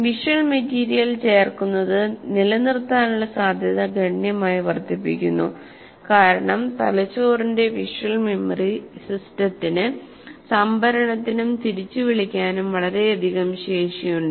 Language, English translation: Malayalam, Adding visual material substantially increases the chance of retention because the brain's visual memory system has an enormous capacity for storage and availability for recall